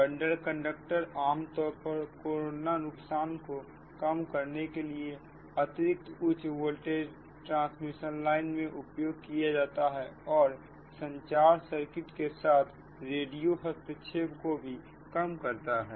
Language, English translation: Hindi, right and bundle conductors are commonly used in extra high voltage transmission line to reduce the corona loss and also reduce the radio interference with communication circuits, right